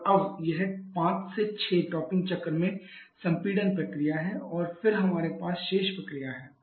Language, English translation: Hindi, And now this 5 to 6 is the compression process in the topping cycle and then we have the rest of the process